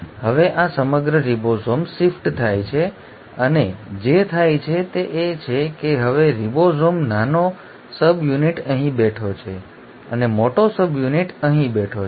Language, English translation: Gujarati, Now this entire ribosome shifts and what happens is now the ribosome small subunit is sitting here, and the large subunit is sitting here